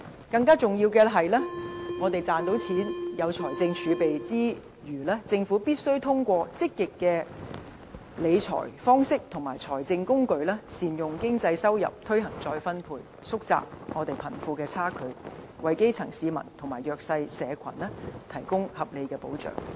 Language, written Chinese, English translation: Cantonese, 更重要是，我們在賺錢，具備財政儲備之餘，政府必須通過積極理財方式和財政工具善用經濟收入，推行再分配，縮窄貧富差距，為基層市民和弱勢社群提供合理的保障。, More importantly after we have made profits and kept our fiscal reserves the Government must effectively utilize incomes generated from the economy through proactive fiscal management and financial tools and promote wealth redistribution to narrow the wealth gap with a view to offering reasonable protection for the grass roots and underprivileged